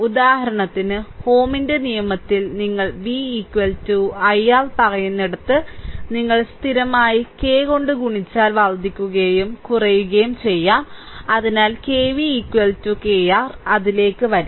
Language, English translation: Malayalam, For example, where you make v is equal to i R say in ohms law right, then if you multiplied by constant k way increase way decrease, so KV is equal to K I R, so will come to that